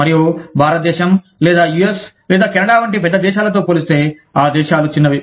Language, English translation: Telugu, And, the countries are small, as compared to larger countries like, India, or the US, or Canada